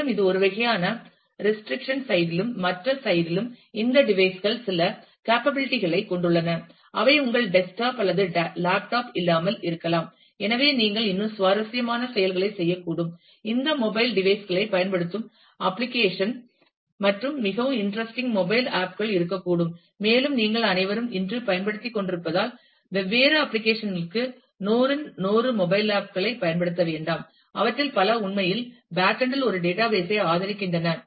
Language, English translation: Tamil, And also on the this is this is on the one kind of the restriction side and on the other side, these devices have certain capabilities, which your desktop or laptop may not have and therefore, it may be you may be able to do more interesting application using this mobile devices, and there could be really interesting mobile apps, and as you all must be using today use 10s of if not 100s of mobile apps for different applications, many of which actually support a database at the backend